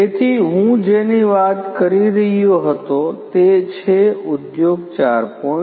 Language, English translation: Gujarati, So, what I was talking about is the industry 4